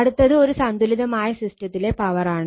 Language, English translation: Malayalam, Next is a power in a balanced system in a balanced system